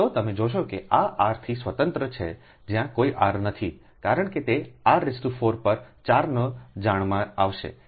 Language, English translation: Gujarati, so you will find that this is the independent of r right there is no r because it will come know r to the power four upon four